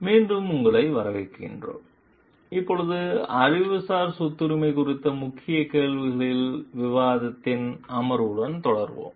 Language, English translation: Tamil, Welcome back, now we will be continuing with the session of the discussion of the key questions on the intellectual property rights